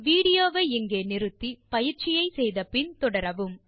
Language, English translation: Tamil, Pause the video here, try out the following exercise and resume